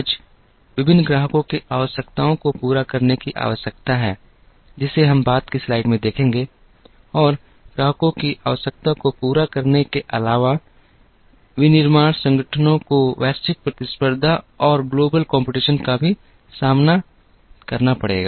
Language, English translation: Hindi, Today, there is a need to meet various customer requirements, which we will see in a subsequent slide and in addition to meeting the customer requirements, the manufacturing organizations will also have to face global competition